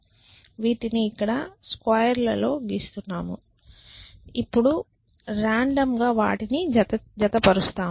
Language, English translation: Telugu, So, let me draw this by squares we randomly pair them